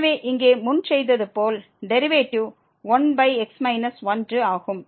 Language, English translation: Tamil, So, the derivative here is 1 over minus 1 as done before